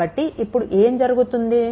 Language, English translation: Telugu, So, then what will happen